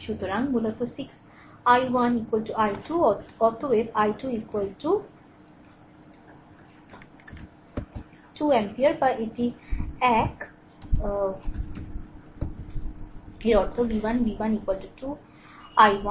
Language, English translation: Bengali, So, basically 6 i 1 is equal to 12 therefore, i 1 is equal to 2 ampere or this one right so; that means v 1, v 1 is equal to 2 i 1 right